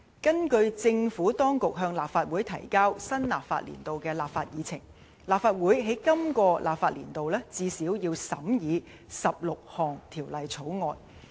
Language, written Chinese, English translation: Cantonese, 根據政府當局向立法會提交新立法年度的立法議程，立法會在今個立法年度最少要審議16項條例草案。, According to the Legislative Programme of the new legislative year provided by the Administration the Legislative Council has to scrutinize at least 16 bills in this legislative year